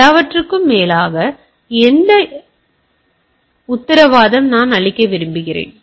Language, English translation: Tamil, Then above all doing said all those things, what I want to guarantee is the assurance